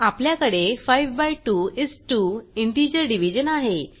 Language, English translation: Marathi, we have the integer Division of 5 by 2 is 2